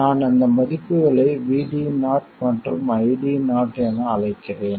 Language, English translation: Tamil, Let me call those values as VD 0 and ID 0